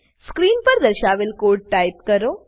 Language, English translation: Gujarati, Type the piece of code as shown on the screen